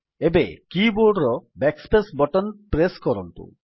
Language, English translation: Odia, Now press the Backspace button on the keyboard